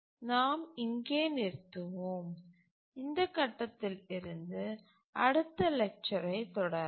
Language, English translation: Tamil, We'll stop here and from this point we'll continue the next lecture